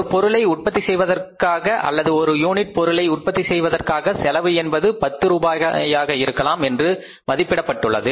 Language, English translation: Tamil, So, if the maybe had estimated that for manufacturing the product or one unit of the product say the total cost of the production would be 10 rupees